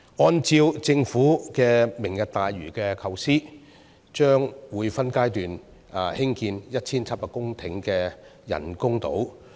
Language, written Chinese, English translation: Cantonese, 按照政府的"明日大嶼"構思，將會分階段興建 1,700 公頃的人工島。, According to the Governments Lantau Tomorrow idea artificial islands totalling 1 700 hectares will be constructed in phases